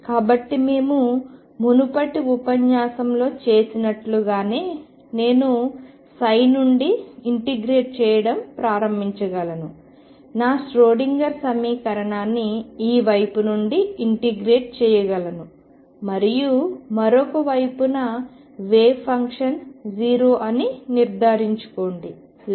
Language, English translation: Telugu, So, just like we did in the previous lecture I can start integrating form this psi, integrate my Schrodinger equation and make sure that the wave function goes t 0 to the other psi